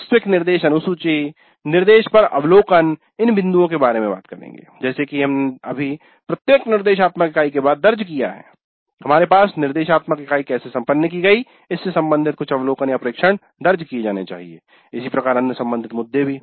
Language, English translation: Hindi, Then the actual instructions schedule, then observations on instruction, as we just now after every instructional unit we must have some observations recorded regarding how the instruction unit went and all these issues